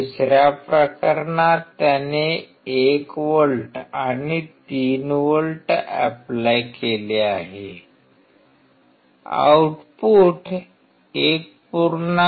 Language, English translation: Marathi, In another case he applied 1 volt and 3 volt, output was 1